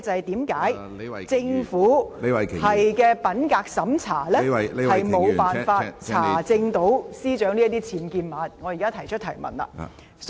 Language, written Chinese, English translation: Cantonese, 第二，為何政府進行的品格審查無法查出司長寓所內有僭建物？, Second how come the Governments integrity checking failed to uncover the UBWs in her residence?